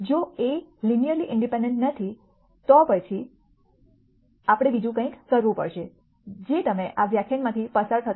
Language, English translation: Gujarati, If the columns of A are not linearly independent, then we have to do something else which you will see as we go through this lecture